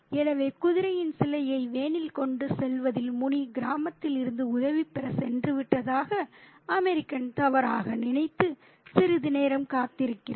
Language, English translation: Tamil, So, the American mistakenly thinks that Muni has gone to get help from the village in transporting the statue of the horse to the van and he waits for a while